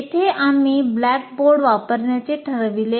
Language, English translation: Marathi, And here we have decided to use the blackboard